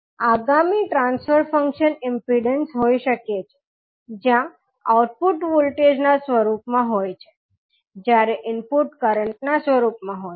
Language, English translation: Gujarati, Now, next transfer function can be impedance, where output is in the form of voltage, while input is in the form of current